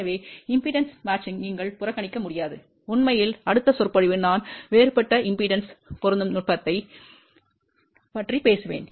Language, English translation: Tamil, So, you cannot ignore impedance matching and in fact, in the next lecture, I will talk about some different impedance matching technique